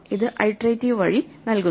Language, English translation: Malayalam, This gives as an iterative way